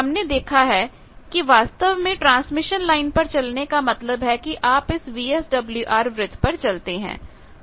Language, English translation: Hindi, We have seen that actually moving on the transmission line means you are moving on that VSWR circle